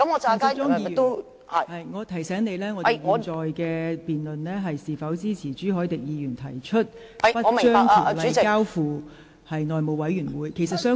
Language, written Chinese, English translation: Cantonese, 陳淑莊議員，我提醒你，現時辯論是關乎應否支持朱凱廸議員提出不將《條例草案》交付內務委員會處理的議案。, Ms Tanya CHAN let me remind you that this debate concerns whether support should be given to the motion proposed by Mr CHU Hoi - dick of not referring the Bill to the House Committee